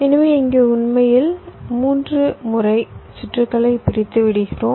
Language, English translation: Tamil, so here actually we have unrolled the circuit in time three times